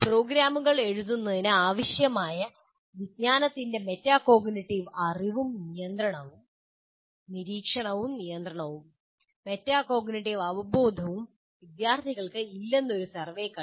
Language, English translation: Malayalam, A survey established that students lack metacognitiveitive awareness both in terms of metacognitive knowledge and regulation are what we are calling monitoring and control of cognition needed for writing programs